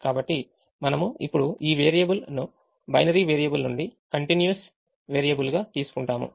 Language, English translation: Telugu, so we treat this variable now from a binary variable to a continuous variable